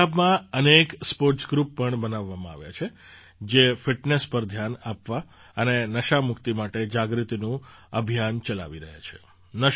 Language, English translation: Gujarati, Many sports groups have also been formed in Punjab, which are running awareness campaigns to focus on fitness and get rid of drug addiction